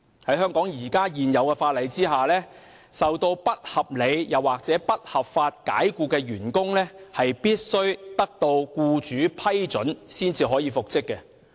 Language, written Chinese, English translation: Cantonese, 在香港現行法例下，遭不合理及不合法解僱的員工必須得到僱主批准才可復職。, Under the existing laws of Hong Kong unreasonably and unlawfully dismissed employees may not be reinstated unless with their employers approval